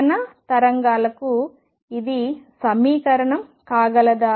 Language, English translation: Telugu, Can this be equation for the particle waves